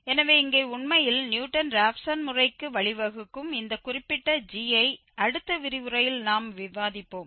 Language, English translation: Tamil, So, here indeed this particular g which leads to another method Newton Raphson method which we will discuss in the next lecture